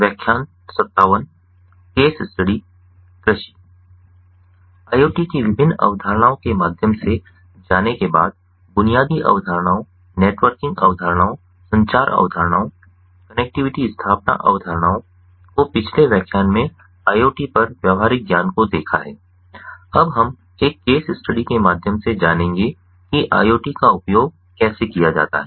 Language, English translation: Hindi, having gone through the different concepts of iot the basic concepts, the networking concepts, the communication concepts, the connectivity establishment concepts, the practical hands on on iot in the previous lecture, we will now go through a case study of how iot has been used, and this particular case study is on agricultural use